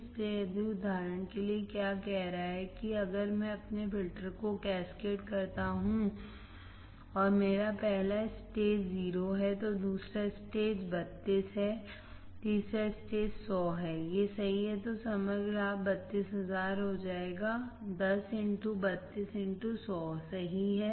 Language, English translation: Hindi, So, for example, what is saying that if I cascade my filters and my first stage is 10, second stage is 32, third stage is 100, these are gain right then the overall gain would be 32,000 because 10 into 32 into 100 correct